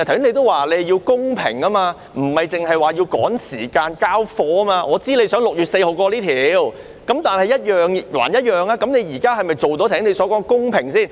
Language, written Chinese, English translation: Cantonese, 你剛才也說要公平，不是要趕時間"交貨"，我知道你想在6月4日通過這項條例草案，但現在是否做到你剛才說的公平呢？, Earlier you also stressed the need to be fair and we are not here to rush to deliver results though I know that you wish to have this Bill passed on 4 June . But regarding what you are doing now can it be considered fair as you stressed earlier?